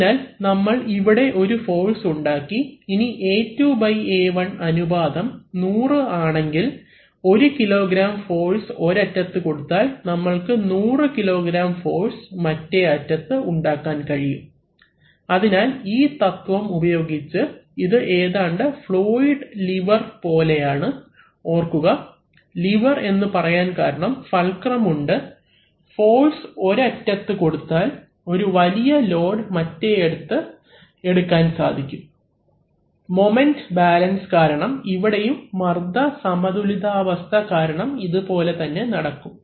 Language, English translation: Malayalam, So we have created a force which can now if that A2 / A1 ratio is 100 then by applying a 1 kg F force at one end we have created 100kg F force at the other, at the other end, so using this principle it is somewhat like a fluidic lever, remember levers that we because of the fulcrum if we apply a small force at one end, we can lift a much higher load at another end because of moment balance, so here also because of pressure balance the same thing is going to happen